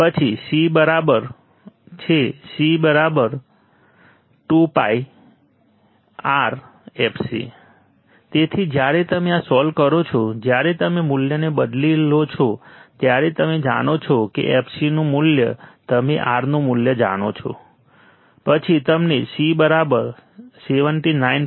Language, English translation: Gujarati, C = 1 / 2PIRfc So, when you solve this, when you substitute the value, you know value of fc you know value of R then you get C = 79